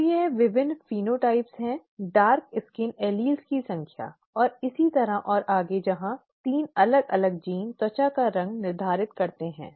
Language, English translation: Hindi, So these are the various phenotypes, the number of dark skin alleles and so on and so forth where 3 different genes determine the skin colour